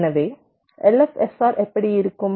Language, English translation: Tamil, so how does an l f s r look like